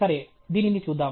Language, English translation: Telugu, Okay let us look at this